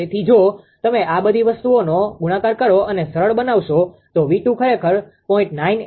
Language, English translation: Gujarati, So, if you multiply and simplify all these things; V 2 actually coming 0